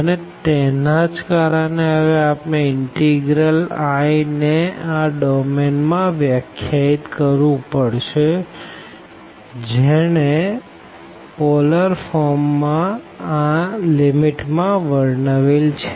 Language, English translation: Gujarati, And now because of this, we will get we will define now the integral this i over this domain here which is described in the polar form by this limit